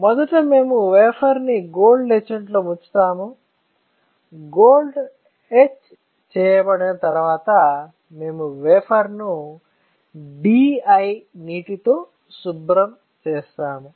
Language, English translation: Telugu, So, first we dip the wafer in gold etchant; once the gold is etched, we rinse the wafer with DI water